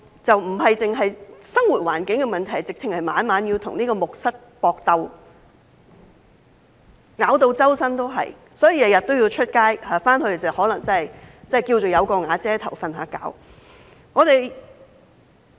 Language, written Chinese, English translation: Cantonese, 不單是生活環境的問題，他們甚至要每晚與木蝨搏鬥，全身被咬，所以每天都要出外，回去睡覺可能只是因為尚算"有瓦遮頭"。, They are not only troubled by the living conditions and they even have to fight bed bugs night after night and get bitten all over; therefore they go out during the day and only return to sleep probably because they at least have shelter there